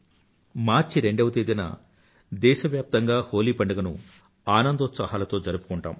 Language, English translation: Telugu, On 2nd March the entire country immersed in joy will celebrate the festival of Holi